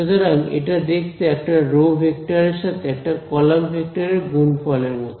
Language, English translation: Bengali, So, that looks like what the product of the product of at least one row vector with a column vector